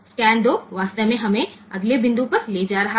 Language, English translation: Hindi, So, scan 2 is actually taking us to the next point